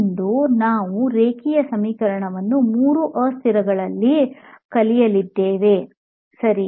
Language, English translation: Kannada, Today we are going to learn linear equation in three variables, ok all right